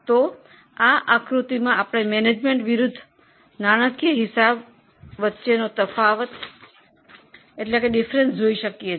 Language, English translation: Gujarati, So, here in this figure we are seeing a comparison of management versus financial accounting